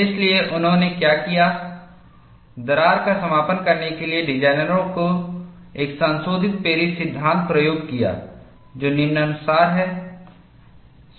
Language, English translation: Hindi, So, what they have done is, to account for crack closure, designers employ a modified Paris law which is as follows